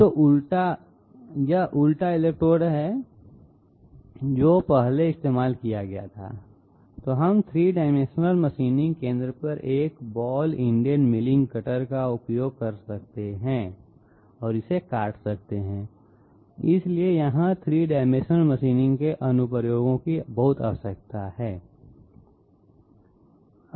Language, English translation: Hindi, So if this is the inverted electrode which was used previously, we can use a ball ended milling cutter on a 3 dimensional machining centre and cut it out, so here the application of 3 dimensional machining is very much required